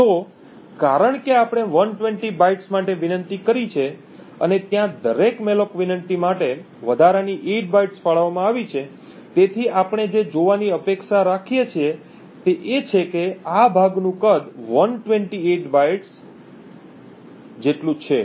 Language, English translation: Gujarati, So, since we have requested for 120 bytes and there is an additional 8 bytes allocated for every malloc request, so what we would expect to see is that the size of this chunk is 128 bytes